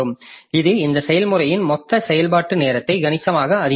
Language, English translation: Tamil, So that makes the total time, total execution time of this process significantly high